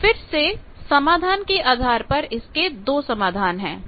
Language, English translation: Hindi, Now, again solution wise you can see there are 2 solutions